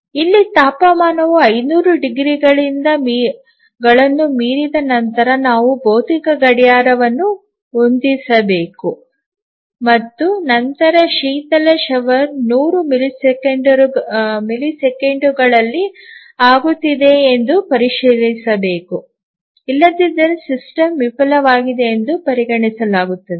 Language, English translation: Kannada, So, here once the temperature exceeds 500 degrees then we need to set a physical clock and then check whether the coolant shower is actually getting on within 100 millisecond otherwise the system would be considered as failed